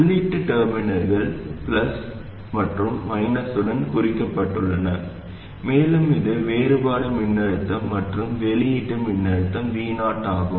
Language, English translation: Tamil, The input terminals are marked with plus and minus and this is the difference voltage and then output voltage VO